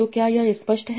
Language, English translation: Hindi, So is that clear